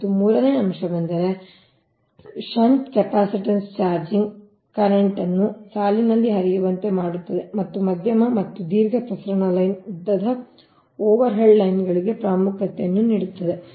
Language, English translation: Kannada, and third point is the shunt capacitance causes charging current to flow in the line right and assumes importance for medium and long transmission line, long overhead lines